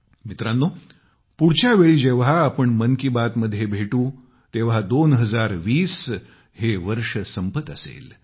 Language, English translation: Marathi, Friends, the next time when we meet in Mann Ki Baat, the year 2020 will be drawing to a close